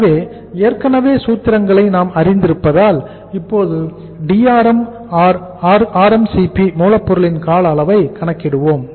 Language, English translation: Tamil, So now as we know the formulas already so now we will calculate the Drm or RMCP, duration of raw material right